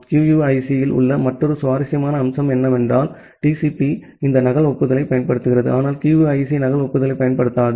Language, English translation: Tamil, Another interesting feature in QUIC is that TCP uses this duplicate acknowledgment, but QUIC does not use the duplicate acknowledgement